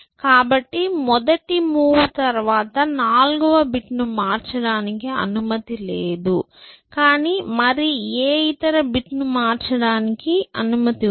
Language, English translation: Telugu, So, after the first move I am allowed not allowed to change the fourth bit, but I am allowed to change any other bit